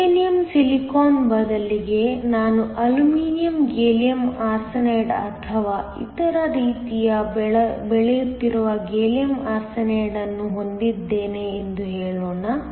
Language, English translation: Kannada, Instead of Germanium Silicon, let say I have Gallium Arsenide growing on Aluminum Gallium Arsenide or the other way round